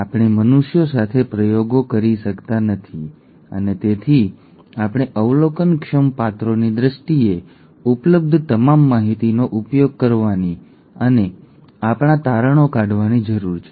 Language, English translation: Gujarati, We cannot go and do experiments with humans and therefore we need to use all the information that is available in terms of observable characters and draw our conclusions